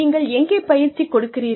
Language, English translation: Tamil, Where do you give the training